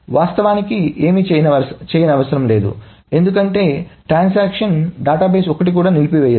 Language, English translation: Telugu, So nothing needs to be done actually because the transaction just aborts none of the data